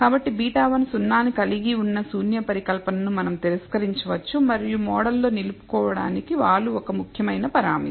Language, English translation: Telugu, So, we can reject the null hypothesis that beta 1 includes 0 and the slope is an important parameter to retain in the model